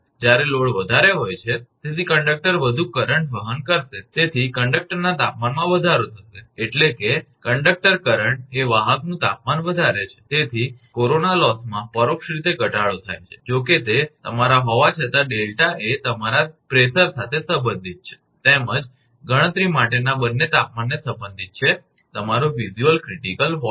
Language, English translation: Gujarati, When load is high, so conductor will carry more current; therefore, there will be temperature rise in the conductor, that means, the conductor current rises the conductor temperature hence leading to an indirect reduction in corona loss although, that is your although delta is related to your pressure as well as both temperature for computing that your visual critical voltage